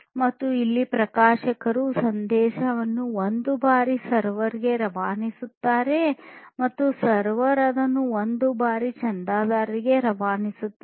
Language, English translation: Kannada, And, here the publisher transmits the message one time to the server and the server transmits it one time to the subscriber